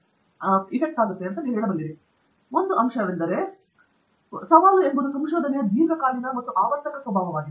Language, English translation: Kannada, An aspect of why we have said also research is challenging is, is its long term and cyclic nature of it